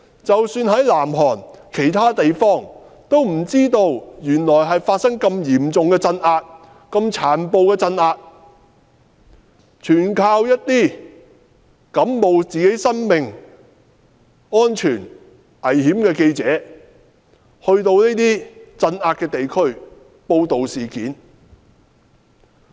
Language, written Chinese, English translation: Cantonese, 即使在南韓其他地方，市民也不知道原來發生了這麼殘暴的鎮壓，全靠冒生命危險的記者到鎮壓地區報道事件。, People living in other parts of South Korea were totally unaware of the brutal suppression and it was the journalists who risked their lives going to the suppressed zones to report the uprising